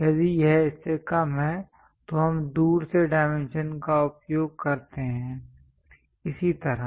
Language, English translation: Hindi, If it is less than that we use other dimension from away, like that